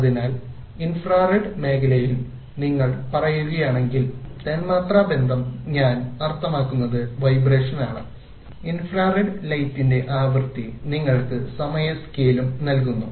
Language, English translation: Malayalam, So if you say in the infrared region molecular bonding, I mean the vibrations take place, the frequency of the infrared light gives you also the time scale